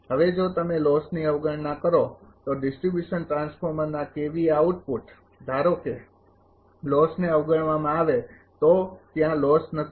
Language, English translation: Gujarati, Now, if you neglect the loss the KVA output of the distribution transformer suppose loss is neglected no loss is there